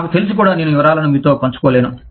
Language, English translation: Telugu, Even if I knew that, I could not share the details, here with you